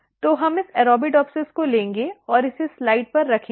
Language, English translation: Hindi, So, we will take this Arabidopsis and place it on a slide